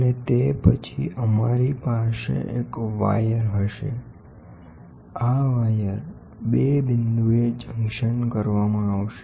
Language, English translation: Gujarati, And then, we will have a wire this wire will be junctioned at 2 point